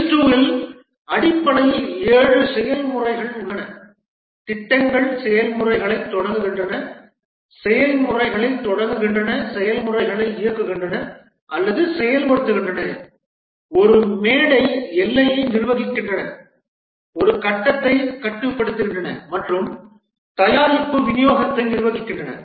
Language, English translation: Tamil, There are essentially seven processes in Prince II, the project starting processes, initiating processes, directing processes, managing a stage boundary, controlling a stage and managing product delivery